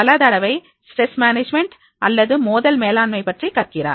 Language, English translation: Tamil, Many times that he learns about the stress management, many times he learns about the conflict management